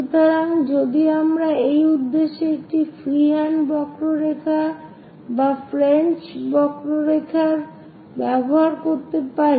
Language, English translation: Bengali, So, if we are going to have a free hand curve for this purpose, one can use French curves also